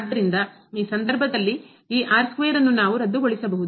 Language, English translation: Kannada, So, in this case this square we can cancel out